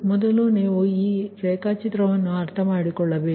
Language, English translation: Kannada, first you have to understand this diagram